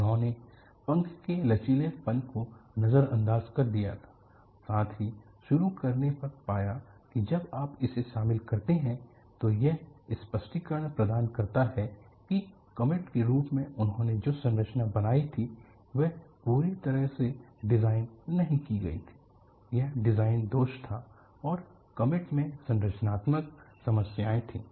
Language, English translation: Hindi, They had ignored the flexing of the wings, to start with; then they found, when you incorporate that, that provided an explanation that the structure what they had made as Comet was not fully design proof; there was a design fault, and comet had structural problems